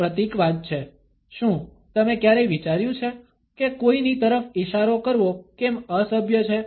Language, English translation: Gujarati, It is the symbolism of the, have you ever wondered, why it is rude to point at somebody